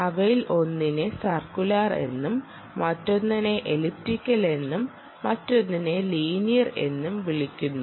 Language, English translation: Malayalam, this is circular, right, this is elliptic, this is vertical, this is horizontal